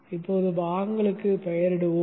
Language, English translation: Tamil, Before that let us name the parts